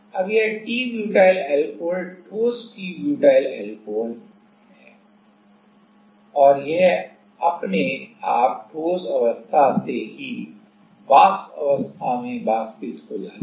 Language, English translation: Hindi, Now, this is t butyl alcohol solid t butyl alcohol and that automatically evaporates like from the solid phase itself, it evaporates to the vapor phase